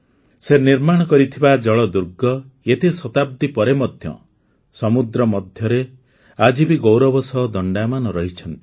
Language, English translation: Odia, The Seaforts built by him still stand proudly in the middle of the sea even after so many centuries